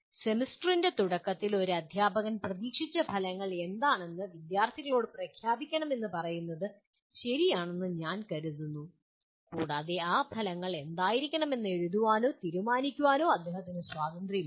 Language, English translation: Malayalam, I think it is fair to say a teacher should at the beginning of the semester should declare to the students what are the expected outcomes and he has the freedom to write or decide what those outcomes he wants them to be